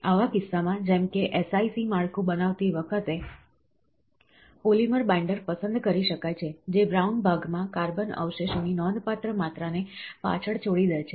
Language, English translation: Gujarati, In such a case, such as, when creating SiC structure, a polymer binder can be selected, which leaves behind the significant amount of carbon residue within the brown part